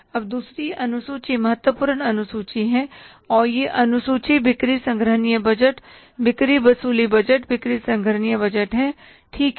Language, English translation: Hindi, Now the second schedule is the important schedule and this schedule is sales collection budget